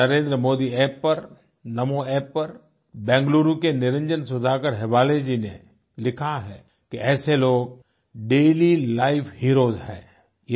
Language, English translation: Hindi, On the Narendra Modi app, the Namo app, Niranjan Sudhaakar Hebbaale of BengaLuuru has written, that such people are daily life heroes